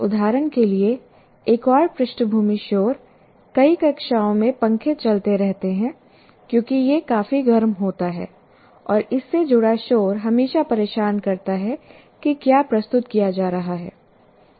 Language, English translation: Hindi, For example, another background noise in many classrooms, you have fans going on because it's quite hot and then you have that noise constantly disturbing what is being present